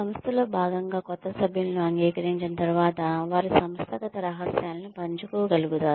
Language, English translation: Telugu, After the new members are accepted as part of the organization, they are able to share organizational secrets